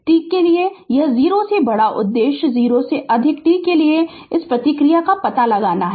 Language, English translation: Hindi, For t greater than 0 your objective is to find out the response for t greater than 0